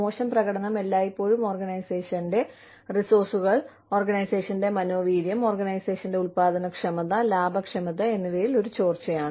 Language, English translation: Malayalam, Poor performance is always, a drain on the organization's resources, on the organization's morale, on the organization's productivity, profitability